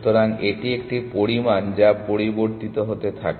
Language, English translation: Bengali, So, it is a quantity which keeps changing